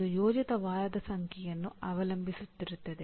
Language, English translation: Kannada, It depends on the number of planned week